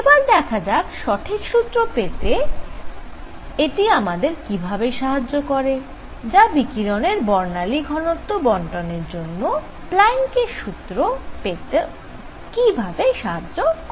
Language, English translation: Bengali, Let us see how this helps in getting the right formula or the Planks’ formula for correct formula for the distribution of spectral density of the radiation